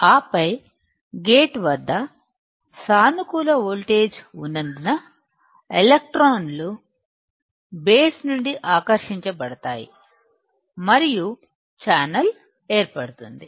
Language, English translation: Telugu, And then because of the positive voltage at the gate, the electrons will get attracted from the base and there will be formation of channel